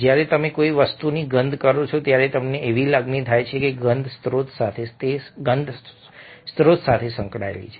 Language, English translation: Gujarati, when you smell something, you have the feeling that the smell is associated with a source